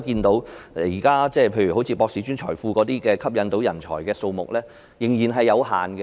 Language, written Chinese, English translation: Cantonese, 大家可見，博士專才庫吸引人才的數目仍然有限。, As Members can see the number of talents imported through the Postdoctoral Hub Programme remains limited